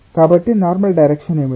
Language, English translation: Telugu, so direction normal is what one